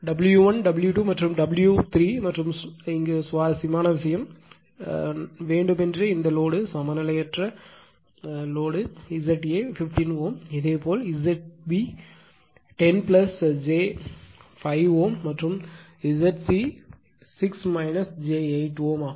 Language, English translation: Tamil, W 1 W 2 and W 3 and interesting thing this thing you have intentionally taken the this load is Unbalanced because Z a is simply 15 ohm , similarly Z b is 10 plus j 5 ohm and Z 6 minus j 8 ohm